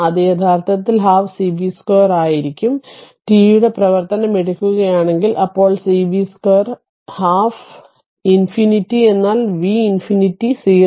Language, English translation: Malayalam, It will be actually half c v square if you take function of t, then minus half c v square minus infinity, but v minus infinity is 0